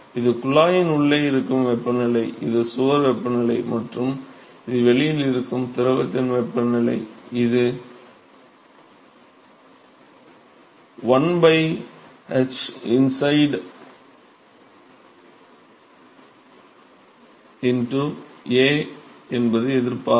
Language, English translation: Tamil, This is the temperature inside the tube, and this is the wall temperature and this is the temperature of the fluid outside, and this is 1 by h inside into A is 1 by h outside into A that is the resistance